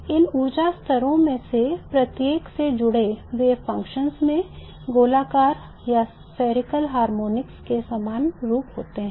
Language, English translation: Hindi, The wave functions associated with each of these energy levels have the same form as the spherical harmonics